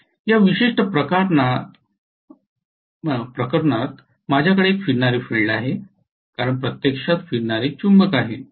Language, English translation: Marathi, In this particular case, I have one revolving field because of physically revolving magnet